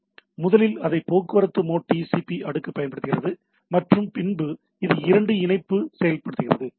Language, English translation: Tamil, So, first of all it uses TCP layer in the transport mode and then it implements two connection